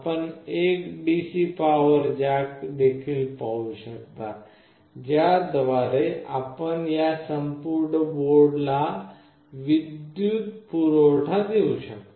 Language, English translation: Marathi, You can see there is also a DC power jack through that you can power this entire board